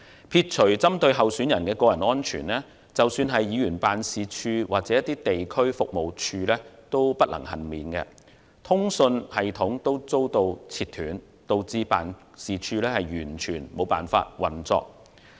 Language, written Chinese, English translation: Cantonese, 撇除針對候選人的個人安全，即使是議員辦事處或地區服務處也不能幸免，連通訊系統也遭截斷，導致辦事處完全無法運作。, Apart from the personal safety of candidates being under threat even members offices or district service centres have not emerged unscathed with their communication systems disconnected resulting in complete shutdown of some offices